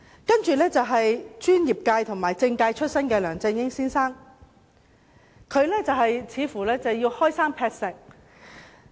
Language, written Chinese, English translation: Cantonese, 第三屆特首是專業界和政界出身的梁振英先生，他似乎要開山劈石。, The third - term Chief Executive was Mr LEUNG Chun - ying a professional from the political sector . It seemed that he wanted to take some remarkable actions